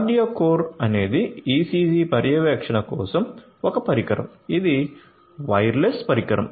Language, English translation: Telugu, QardioCore is a device for ECG monitoring; it is a wireless device